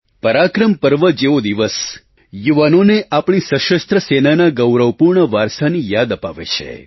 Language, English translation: Gujarati, A day such as ParaakaramPrava reminds our youth of the glorious heritage of our Army